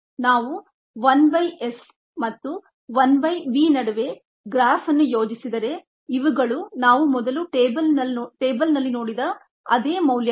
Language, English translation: Kannada, if we plot a graph between one by s and one by v, these are the same values that we saw in the table earlier